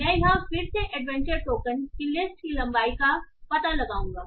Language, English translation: Hindi, So what I am going to do is I will again find the length of the list of adventure token